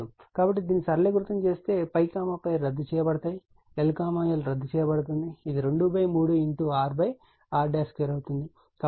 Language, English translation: Telugu, So, if you if you simplify this, so pi pi will be cancel, l l will be cancel, it will be 2 by 3 into r square by your r dash square